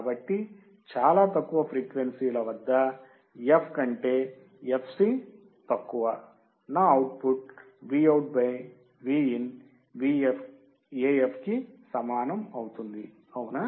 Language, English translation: Telugu, So, at very low frequencies, f less than fc, my output will be Vout by Vin equals to AF right